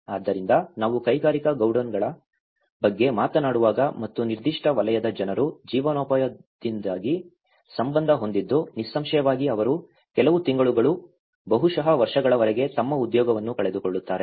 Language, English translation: Kannada, So, when we talk about the industrial godowns and which has to do with the livelihood of certain sector of the people, obviously they will lose their employment for some months, maybe years